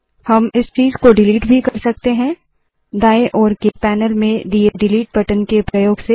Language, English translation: Hindi, We can also delete this object, using the Delete button on the left hand panel